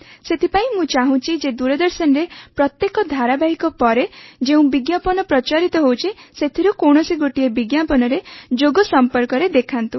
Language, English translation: Odia, For this I want that among the many ads that are played on Doordarshan, there should be one ad on Yoga, how it is to be done, and what are its benefits